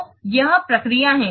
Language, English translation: Hindi, So this is the procedure to do